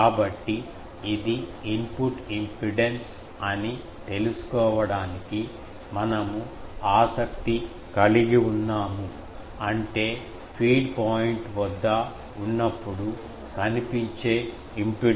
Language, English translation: Telugu, So, we are interested to find it is input impedance; that means, what is the impedance it is seen when at the feed point